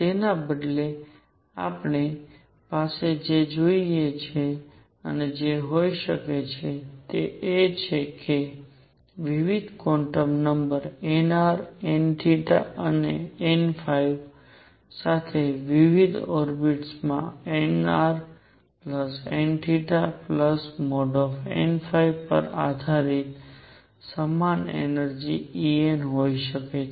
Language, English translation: Gujarati, What we could instead have is that different orbits with different quantum numbers nr, n theta and n phi could have the same energy E n depending on nr plus n theta plus mod n phi